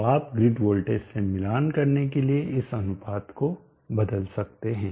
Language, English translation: Hindi, , so you can adjust this ratio to match the grid voltage